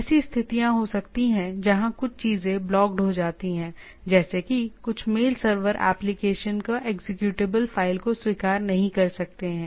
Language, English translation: Hindi, There can be situation where some of the things are blocked like if you some of the mail server may not accept application or executable files